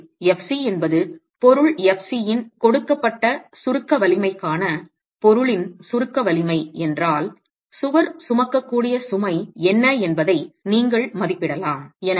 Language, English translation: Tamil, is the compressive strength of the material, for a given compressive strength of the material, you can estimate what is the load that that wall can carry